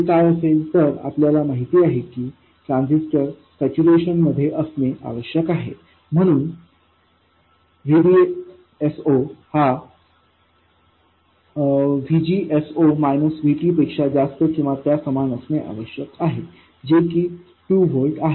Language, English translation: Marathi, We know that the transistor has to be in saturation, so VDS 0 has to be greater than or equal to VGS minus VT and this number is 2 volts